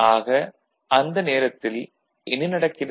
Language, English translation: Tamil, So, at that time what is happening